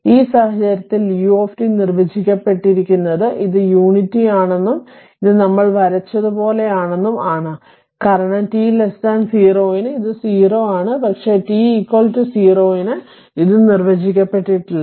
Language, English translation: Malayalam, So, ah in for this case u t is defined this is unity and and this is like this we have drawn because for t less than 0 it is your 0 so, but at t is equal to 0 your your what you call it is undefined